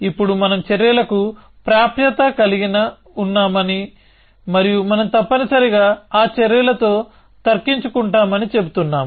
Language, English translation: Telugu, Now, we are saying that we have access to actions and we will reason with those actions essentially